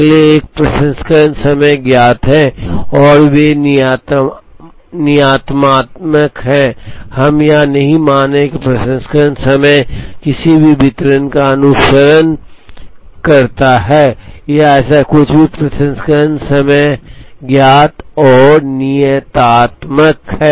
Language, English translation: Hindi, Next one is the processing times are known and they are deterministic, we are not assuming that, processing times follow any distribution or anything like that, processing times are known and deterministic